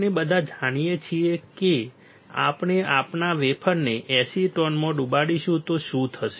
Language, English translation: Gujarati, We all know we will dip our wafer in acetone what will happen